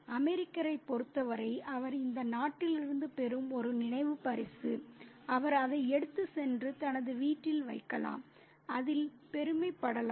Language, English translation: Tamil, For the American, it's a souvenir that he gets from this country which he can transport and place it in his home and be proud of it